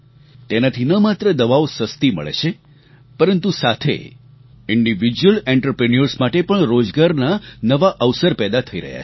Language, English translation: Gujarati, This has led to not only availability of cheaper medicines, but also new employment opportunities for individual entrepreneurs